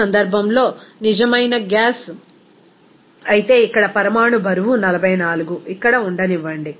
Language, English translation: Telugu, In this case if real gas, here molecular weight is 44 let it be here